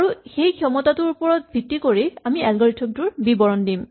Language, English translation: Assamese, And in terms of that capability, we describe the algorithm itself